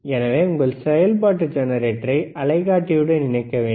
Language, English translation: Tamil, So, we have to connect our function generator to the oscilloscope